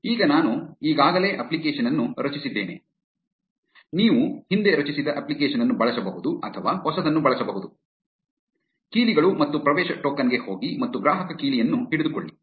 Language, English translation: Kannada, Now, I have already created an app, you can either use a previously created app or use a new one, go to the keys and access token and get hold of the consumer key